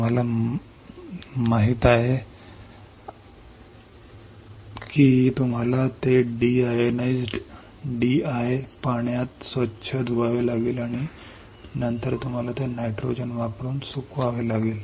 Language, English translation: Marathi, You know that you have to rinse it in deionized water, and then you have to dry it using nitrogen